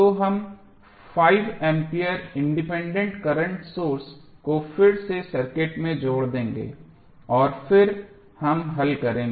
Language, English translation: Hindi, So, we will add the 5 ampere independent current source again in the circuit and then we will solve